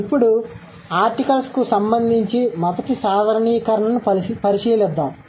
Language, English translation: Telugu, So, now let's look at the first generalization in connection with the articles